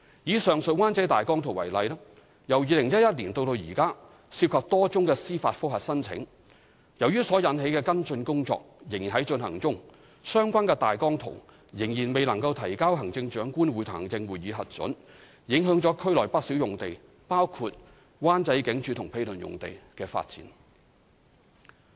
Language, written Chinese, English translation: Cantonese, 以上述灣仔大綱圖為例，由2011年至今涉及多宗司法覆核申請，由於所引起的跟進工作仍在進行中，相關大綱圖仍未能提交行政長官會同行政會議核准，影響了區內不少用地，包括舊灣仔警署及毗鄰用地的發展。, Taking the above Wan Chai OZP as an example it involved a number of judicial review applications since 2011 and as the arising follow - up work is still in progress the OZP has yet to be submitted to the Chief Executive in Council for approval thereby affecting the development of various sites within the district including the former Wan Chai Police Station and its adjacent area